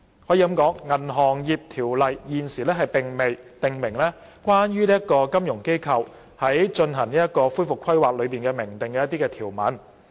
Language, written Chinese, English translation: Cantonese, 《銀行業條例》現時並未訂明關於金融機構須進行恢復規劃的明訂條文。, Currently there are no explicit provisions under BO relating to recovery planning by FIs